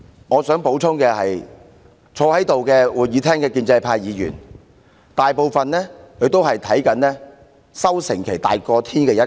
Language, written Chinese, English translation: Cantonese, 我想補充的是，坐在會議廳內的建制派議員，大多是把收成期看得比天還要大的一群。, I would like to add that most of the pro - establishment Members sitting in the Chamber regard their harvest periods as the foremost thing